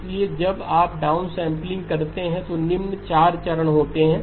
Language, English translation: Hindi, So when you do the downsampling, the following 4 steps happen